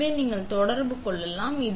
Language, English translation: Tamil, So, now you can see you are in contact